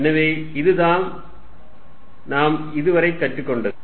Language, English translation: Tamil, So, this is what we learnt so far